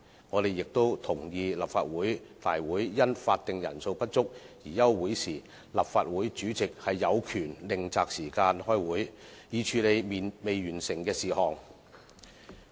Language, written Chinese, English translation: Cantonese, 我們亦同意，立法會會議因法定人數不足而休會時，立法會主席有權另擇時間開會，以處理未完成的事項。, We also agree that the President shall have the power to set an alternative meeting time to deal with the outstanding matters when a Council meeting is adjourned due to the lack of a quorum